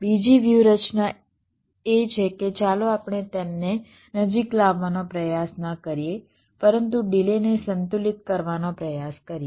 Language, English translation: Gujarati, the second strategy is that, well, let us not not try to bring them close together, but let us try to balance the delays